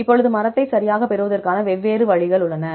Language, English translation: Tamil, Now, there different ways to get the tree right